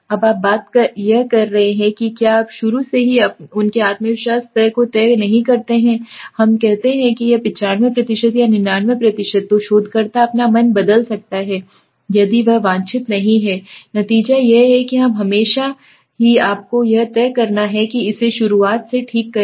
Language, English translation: Hindi, Now the point is if you do not decide their confidence levels earlier from the beginning such let us say 95% or 99% then the researcher might change his mind if he does not get the desired result so that is why it is always you have to decide it fix it from the beginning okay